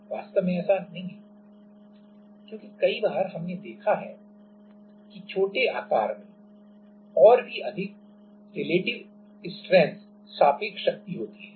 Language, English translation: Hindi, In fact, it is not because many a times we have seen that the smaller body even have greater relative strength